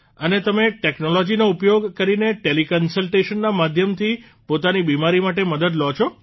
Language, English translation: Gujarati, And you take help of technology regarding your illness through teleconsultation